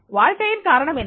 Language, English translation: Tamil, What is the purpose of life